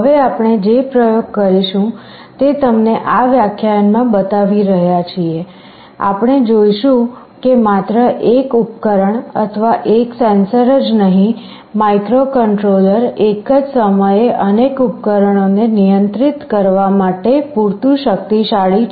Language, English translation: Gujarati, Now in the experiment that we shall be showing you in this lecture, we shall demonstrate that not only one device or one sensor, the microcontroller is powerful enough to control multiple devices at the same time